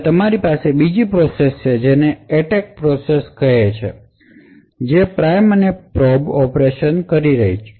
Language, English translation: Gujarati, Now you have the other process which is the attack process which is doing the prime and probe operations